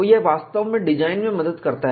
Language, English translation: Hindi, So, it really helps in design